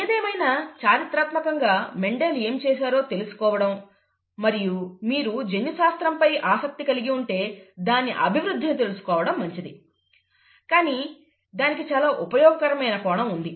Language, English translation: Telugu, In any case, historically it is nice to know what Mendel did and the development of that if you are interested in genetics; but there is a very useful angle to it